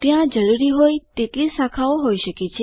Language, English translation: Gujarati, There can be as many branches as required